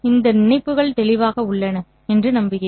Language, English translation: Tamil, I hope these connections are clear